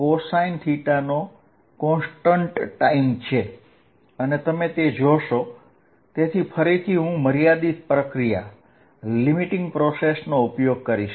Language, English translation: Gujarati, So, again I am going to use a limiting process